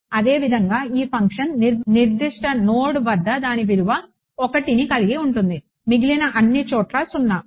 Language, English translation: Telugu, Similarly this function has its value 1 at a certain node, 0 everyone else ok